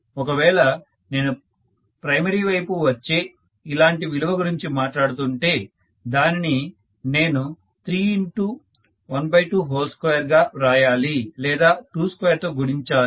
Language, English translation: Telugu, So if I am talking about a similar value coming on the primary side, I have to write this as 3 multiplied by 1 by 2 square, am I right